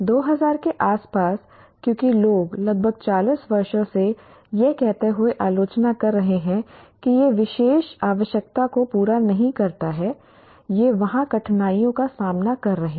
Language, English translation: Hindi, And this was in 56, in around 2000, because people have been critiquing this for almost 40 years saying that this doesn't meet the particular requirement, these are the difficulties they are facing and so on